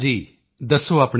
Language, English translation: Punjabi, Tell me about yourself